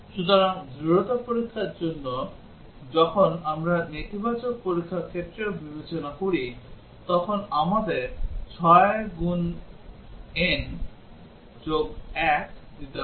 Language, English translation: Bengali, So, for robustness test that is when we consider the negative test cases also, we need to gives a 6 n plus 1